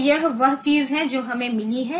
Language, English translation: Hindi, So, this is the thing that we have got